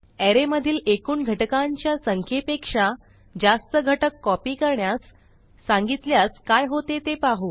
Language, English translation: Marathi, Let us see what happens if the no.of elements to be copied is greater than the total no.of elements in the array